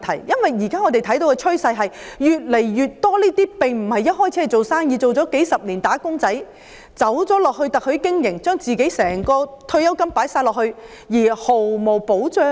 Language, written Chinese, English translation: Cantonese, 因為現時的趨勢是，越來越多人打工數十年後，轉而加入特許經營，把自己所有退休金放進去，但卻毫無保障。, The present trend is that more and more people have after working for decades engaged in franchising and invested all their pensions in it but they receive no protection